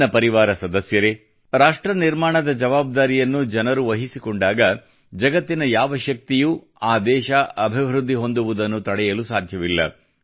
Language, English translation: Kannada, My family members, when the people at large take charge of nation building, no power in the world can stop that country from moving forward